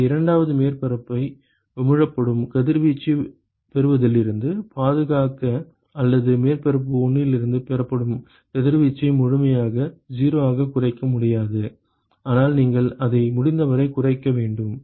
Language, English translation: Tamil, So, we need to place something in between, in order to protect the second surface from receiving the radiation emitted, or minimize the radiation that is received from surface 1 cannot be completely 0, but you minimize it as much as possible